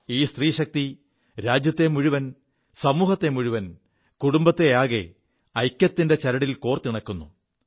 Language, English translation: Malayalam, This woman power binds closely together society as a whole, the family as a whole, on the axis of unity & oneness